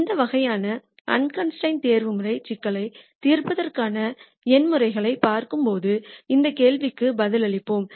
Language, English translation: Tamil, We will answer these questions when we look at numerical methods of solving these kinds of unconstrained optimization problems